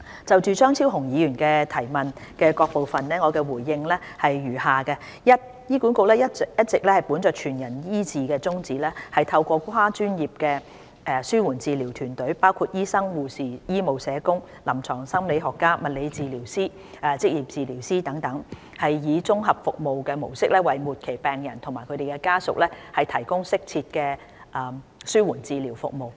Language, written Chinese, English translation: Cantonese, 就張超雄議員的質詢的各部分，我答覆如下：一醫管局一直本着"全人醫治"的宗旨，透過跨專業的紓緩治療團隊，包括醫生、護士、醫務社工、臨床心理學家、物理治療師、職業治療師等，以綜合服務模式為末期病人和家屬提供適切的紓緩治療服務。, My reply to the various parts of the question raised by Dr Fernando CHEUNG is as follows 1 With the aim to provide holistic care for patients HA has been providing appropriate palliative care services with a comprehensive service model for terminally - ill patients and their families through a multi - disciplinary team of professionals including doctors nurses medical social workers clinical psychologists physiotherapists and occupational therapists etc